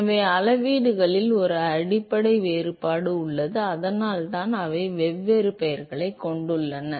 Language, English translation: Tamil, So, there is a fundamental difference in the quantities and that is why they carry different names